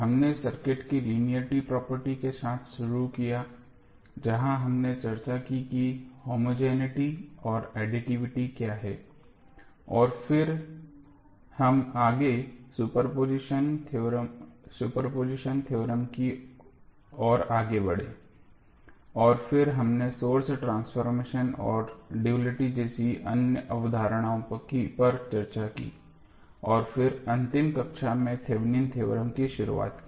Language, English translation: Hindi, We started with linearity property of the circuit where we discussed what is homogeneity and additivity and then we proceeded towards the superposition theorem and then we discussed the other concepts like source transformation and the duality and then in the last class we started our Thevenin's theorem